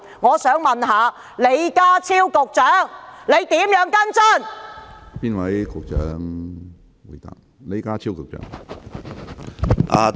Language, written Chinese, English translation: Cantonese, 我想問李家超局長會如何跟進？, I would like to ask Secretary John LEE How is he going to follow up on this case?